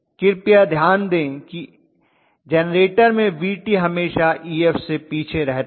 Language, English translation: Hindi, Please note Vt will generally lagged behind always Ef in a generator